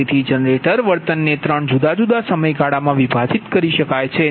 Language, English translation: Gujarati, so generator behavior can be divided in to three different periods